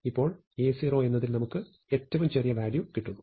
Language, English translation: Malayalam, Now, we have the smallest value at A 0